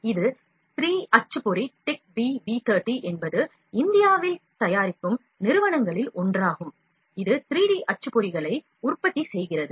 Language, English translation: Tamil, This is a three printer TECHB V30 is one of the companies in India that is making that is manufacturing the 3D printers